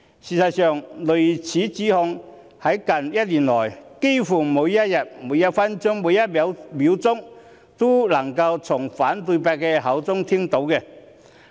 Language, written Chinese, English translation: Cantonese, 事實上，類似指控在近一年來幾乎每一天、每一分、每一秒都能夠從反對派的口中聽到。, In fact such accusations could be heard from the opposition almost each second each minute each day over the past year or so